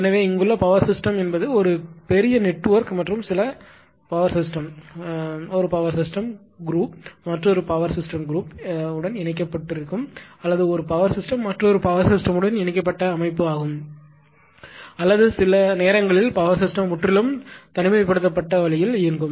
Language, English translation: Tamil, So, basically you know that power system here, it is a huge network right and some power system one group of power system is interconnected to another group of power system or one power system which connect connected to another power system or sometimes power system operating totally isolated way